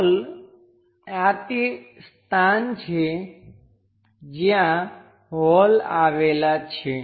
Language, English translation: Gujarati, The holes this is the place where holes are located